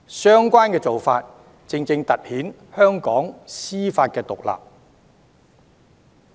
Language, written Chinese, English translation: Cantonese, 相關的做法，正正突顯了香港的司法獨立。, The relevant approach highlights exactly Hong Kongs judicial independence